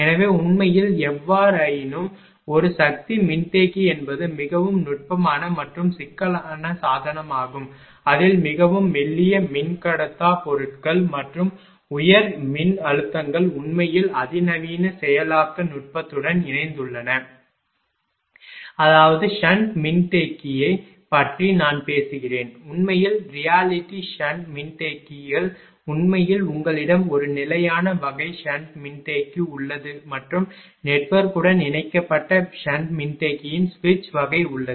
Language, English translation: Tamil, So, in reality; however, a power capacitor is a highly technical technical and complex device in that very thin dielectric materials and high electric stresses are involved coupled with highly sophisticated processing technique actually in reality; that is ah I am talking about sand capacitor that actually reality sand capacitors actually ah you have a fixed type of sand capacitor and switch type of sand capacitor connected to the network